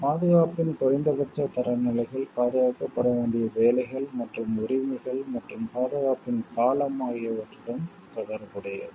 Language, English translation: Tamil, The minimum standards of protection relate to the works and rights to be protected and the duration of protection